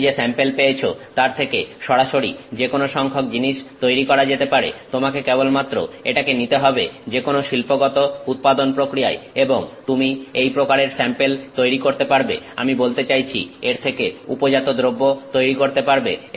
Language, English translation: Bengali, Any number of things which can be made directly out of this sample that you have received, you just have to take it to any industrial production process and you can make this kind of sample, I mean to make this make the product out of it